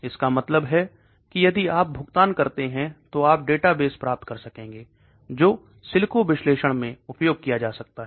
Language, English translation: Hindi, That means if you make a payment you will be able to get databases for you which can be used for in silico analysis